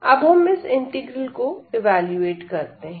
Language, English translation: Hindi, So, now let us evaluate this integral